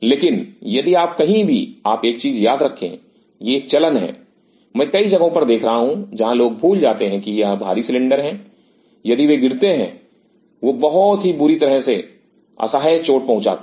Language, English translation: Hindi, But if you wherever you keep remember one thing this is one practice I am observing in several places where people forget that these are heavy cylinders, if they fall they will hurt horribly bad